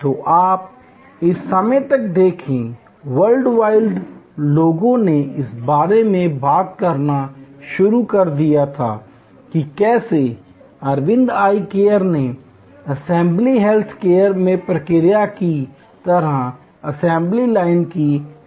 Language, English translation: Hindi, So, you see by this time, World Wide people had started talking about how Aravind Eye Care introduced assembly line like process in intricate health care